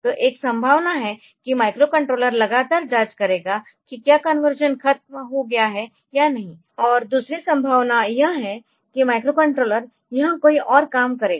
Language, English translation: Hindi, So, one possibility is that the microcontroller will be continually checking whether the conversion is over or not, and other possibility is that microcontroller will go to some other job it will do some other job